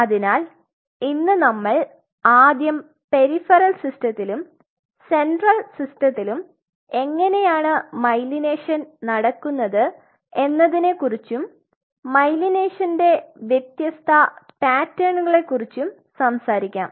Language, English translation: Malayalam, So, today the first thing we will do we will talk about how the myelination happens in the peripheral system as well as in the central system and they have a very different pattern of myelination